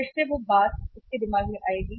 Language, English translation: Hindi, Again that thing will come up in his mind